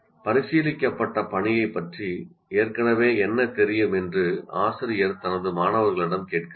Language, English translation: Tamil, Teacher asks her students what they already know about the task under consideration